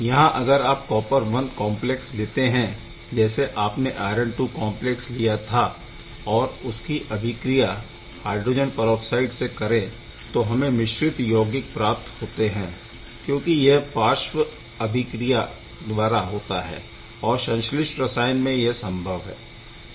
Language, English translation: Hindi, So, where you can take copper I complex just like iron II complex and react it with HO OH this reaction need not be very clean sometime many side reaction also occur in synthetic chemistry